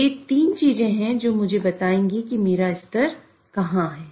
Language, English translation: Hindi, So those are the three things which will tell me where my level is lying